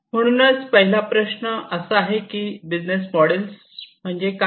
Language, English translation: Marathi, And first of all the question is that, what is a business model